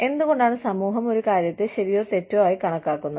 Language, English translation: Malayalam, Why the society considers, something as right or wrong